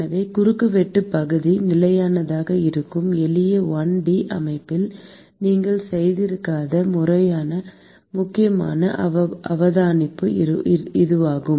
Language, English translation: Tamil, So, this is an important observation which you would not have made in the simple 1 D system where the cross sectional area is constant